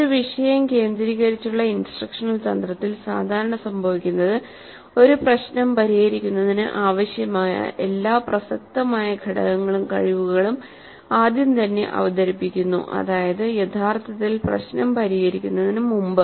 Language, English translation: Malayalam, In a topic centered instructional strategy, what typically happens is that the all relevant component skills required to solve a problem are actually first presented before actually getting to solve the problem